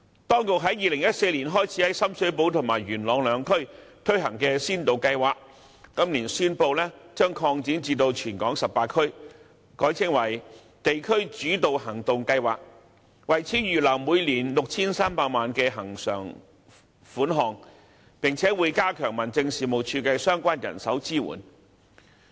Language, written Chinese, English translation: Cantonese, 當局在2014年開始在深水埗和元朗兩區推行的先導計劃，今年宣布將擴展至全港18區，改稱為地區主導行動計劃，為此預留每年 6,300 萬元的恆常款項，並會加強民政事務處的相關人手支援。, As regards the pilot scheme implemented in Sham Shui Po and Yuen Long first in 2014 it is announced this year that the scheme which is renamed as District - led Actions Scheme will be extended to all the 18 districts in Hong Kong . An annual recurrent funding of 63 million will be earmarked for it while the relevant manpower support in District Offices will also be enhanced